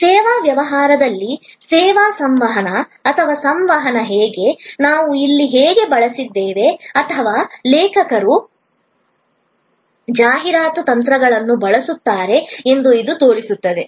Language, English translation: Kannada, This shows that how service communication or communication in service business, how we have used here or rather the author said use the word advertising strategies